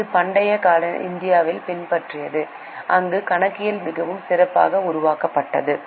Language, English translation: Tamil, This is about the ancient India where the accounting was really well developed